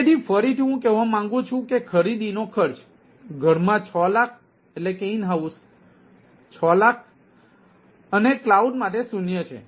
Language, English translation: Gujarati, so again let me as repeat: purchase cost is six lakh for in house and ah nil for cloud